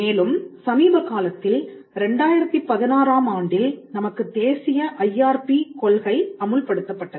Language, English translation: Tamil, And recently in 2016, we had the National IRP policy, we had for the first time we had a policy on intellectual property rights